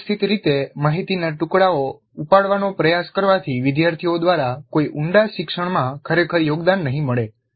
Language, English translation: Gujarati, Randomly trying to pick up pieces of information would not really contribute to any deep learning by the students